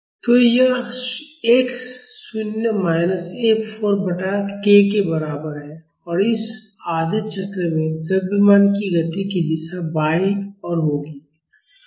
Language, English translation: Hindi, So, that is equal to x naught minus 4 F by k and in this half cycle the direction of motion of the mass will be towards left